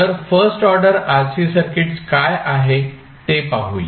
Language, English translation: Marathi, So, let us see what do you mean by first order RC circuits